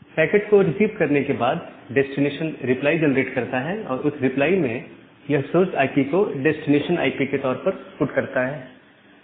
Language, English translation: Hindi, Once the destination receives that packet, it generates a reply back and in the reply it puts this source IP as the designation IP